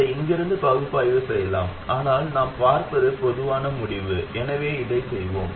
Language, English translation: Tamil, We can also analyze it from here, but what we see is a general result